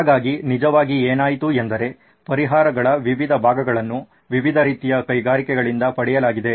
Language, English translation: Kannada, So, what actually happened was various parts of solutions were derived from different types of industries